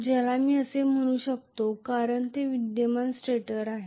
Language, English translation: Marathi, Which I may call that as Is because it is the stator of current